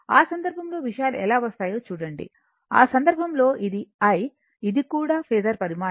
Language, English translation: Telugu, So, in that case look how things will come, in that case your this is y i, this is my i, this is also phasor quantity